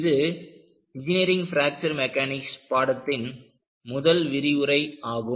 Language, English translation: Tamil, This is the first lecture, in the course on Engineering Fracture Mechanics